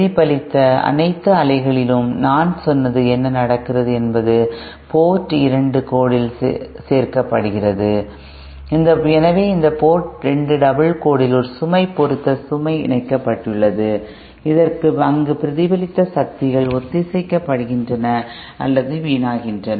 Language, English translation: Tamil, What is happening as I said in all the reflected waves are get added up at Port 2 dash, so there is a load match load connected at this Port 2 double dash where kind of the where the reflected powers are synced or wasted away